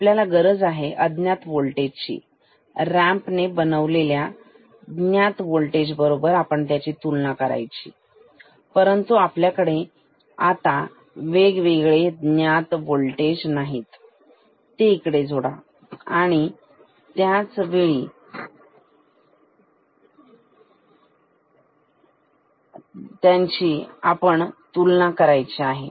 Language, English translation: Marathi, We need to compare the unknown voltage with various different known voltages generated by the ramp, but we can also get various different known voltages from this and connect here to compare this with the unknown voltage, ok